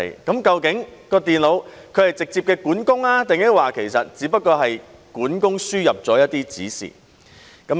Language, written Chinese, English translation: Cantonese, 究竟電腦是直接的管工，抑或只不過是管工輸入了一些指示？, It also ruled on the question of whether the computer was directly in charge or somebody else in charge had input the instructions